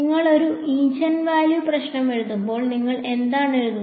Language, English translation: Malayalam, When you write a eigenvalue problem, what you write